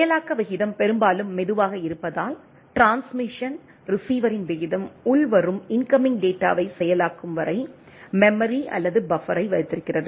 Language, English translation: Tamil, Since the rate of processing is often slower than, the rate of transmission receiver has block of memory or buffer for storing the incoming data, until they are processed right